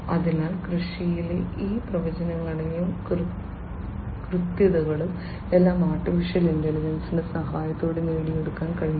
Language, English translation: Malayalam, So, all these predictions, precisions, etcetera in agriculture could be achieved with the help of use of AI